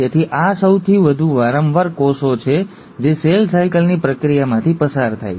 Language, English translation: Gujarati, So these are the most frequent cells which undergo the process of cell cycle